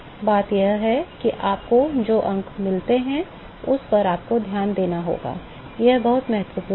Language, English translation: Hindi, The point is that you have to pay attention to the numbers that you get, it is very important